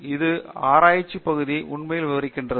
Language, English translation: Tamil, So, that makes really expand our research area